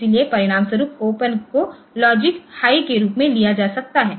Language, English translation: Hindi, So, as a result that open may be taken as logic high